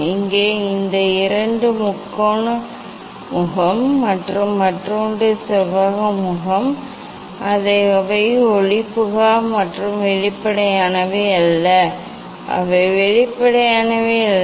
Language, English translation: Tamil, here these two triangular face and that other one rectangular face, they are opaque, they are not transparent; they are not transparent